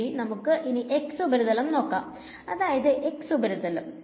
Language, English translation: Malayalam, Let us just take the x surfaces x hat surfaces